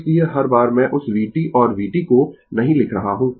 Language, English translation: Hindi, So, every time I am not writing that your v t and v t